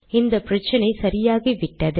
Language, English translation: Tamil, This problem is solved